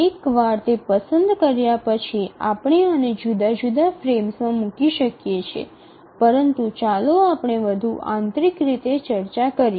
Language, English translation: Gujarati, So, then once having chosen that we can place these in the different frames but let's look at more insights into how to do that